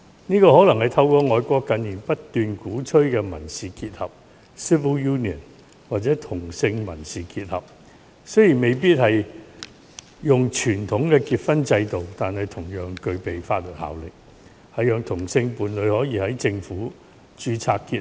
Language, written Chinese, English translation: Cantonese, 這可能是透過外國近年不斷鼓吹的"民事結合"或"同性民事結合"達成。雖然未必是傳統的婚姻制度，但同樣具備法律效力，讓同性伴侶可以在政府制度下註冊結合。, Perhaps this may be achieved through the ongoing promotion of civil union or same - sex civil union in overseas countries in recent years which is not a form of conventional marriage institution but will have the same legal status so that same - sex partners may register their civil union under a formal government institution